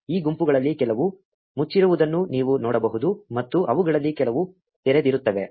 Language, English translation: Kannada, You can see that some of these groups are closed and some of them are open